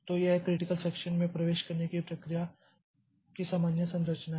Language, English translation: Hindi, So, this is the general structure of process entering into the critical section